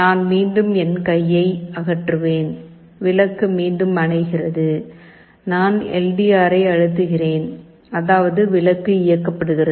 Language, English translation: Tamil, I again remove my hand the bulb is switched OFF again, I press the LDR; that means, darkness the light is switched ON